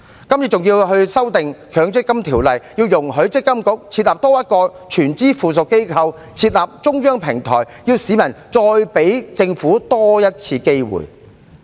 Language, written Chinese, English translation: Cantonese, 今次政府還要修訂《強制性公積金計劃條例》，容許積金局多設立一個全資附屬公司來推出中央平台，要市民給予政府多一次機會。, This time through amending the Mandatory Provident Fund Schemes Ordinance the Government also allows MPFA to additionally set up a wholly owned subsidiary for launching the centralized platform seemingly asking the public to give the Government one more chance